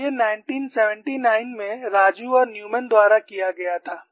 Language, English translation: Hindi, And this was done by Raju and Newman in 1979